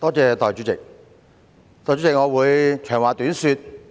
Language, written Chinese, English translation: Cantonese, 代理主席，我會長話短說。, Deputy President I will make a long story short